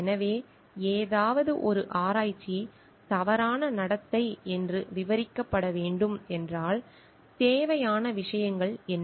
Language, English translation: Tamil, So, if something is to being described as a research misconduct, then what are the required things